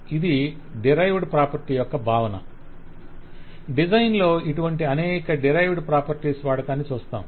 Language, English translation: Telugu, So this is the concept of derived property and we will see the use of several derived property in the design